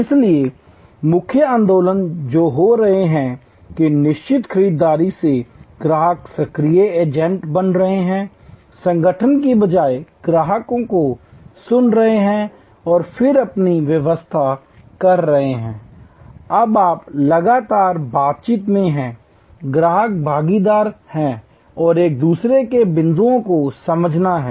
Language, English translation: Hindi, So, main movements that are happening, that from passive buyers customers are becoming active agents, instead of organizations listening to customers and then doing their own interpretation, you are now in a constant dialogue, customers are partners and each other’s points are to be understood almost in real time